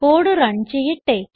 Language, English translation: Malayalam, Now let us run the code